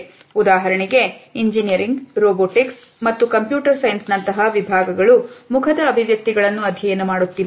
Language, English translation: Kannada, For example, disciplines like engineering, robotics, as well as computer science are studying facial expressions